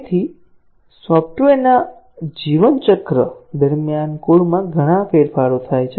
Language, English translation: Gujarati, So, throughout the life cycle of software, lots of changes occur to the code